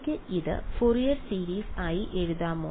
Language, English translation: Malayalam, Can I write it as the Fourier series